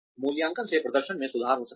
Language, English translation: Hindi, Appraisals can leads to improvement in performance